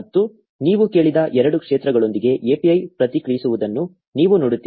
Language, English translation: Kannada, And you see that the API responds with the two fields that you asked for